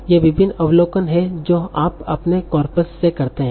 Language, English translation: Hindi, There are various observations that you make from your corpus